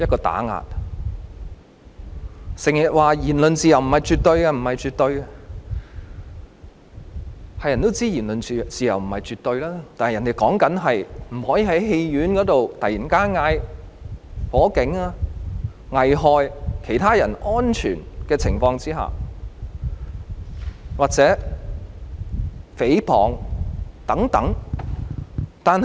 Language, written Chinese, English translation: Cantonese, 有人整天說言論自由不是絕對，誰都知道言論自由不是絕對，但指的是不能在戲院內突然叫喊走火警，作出危害其他人安全或誹謗等行為。, Some people always say that freedom of speech is not absolute . Everyone knows that freedom of speech is not absolute . One cannot suddenly shout fire in a theatre and do acts which will endanger others or defame others